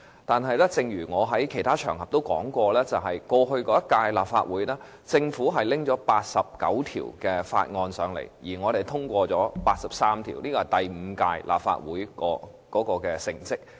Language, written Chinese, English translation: Cantonese, 但是，正如我在其他場合指出，過去一屆立法會期間，政府提交了89項法案，我們通過了83項，這是第五屆立法會的成績。, However as I pointed out on other occasions within the term of the previous Legislative Council 83 of the 89 Bills tabled by the Government were passed . That was the achievement of the fifth Legislative Council